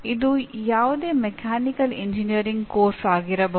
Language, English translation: Kannada, It can be any mechanical engineering course